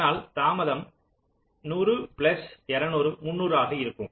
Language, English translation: Tamil, so the delay will be hundred plus two hundred three hundred